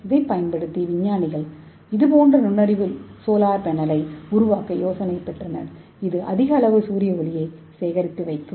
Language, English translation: Tamil, So scientist got the idea to develop such kind of intelligence solar panel so that it can harvest more amount of solar light